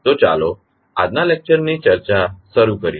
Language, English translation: Gujarati, So, let us start the discussion of today’s lecture